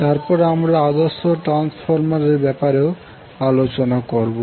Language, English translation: Bengali, And then also we will discuss about the ideal transformer